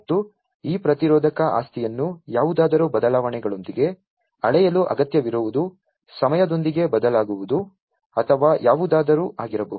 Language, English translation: Kannada, And what is required is to measure this resistive property with changes in something may be change with time or, whatever